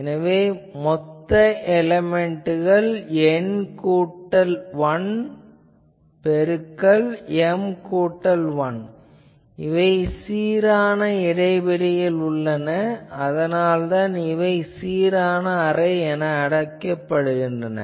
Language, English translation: Tamil, So, total elements are N plus 1 into M plus 1 ok, they are uniform spacing that is why uniform array, and also the excitations the same excitation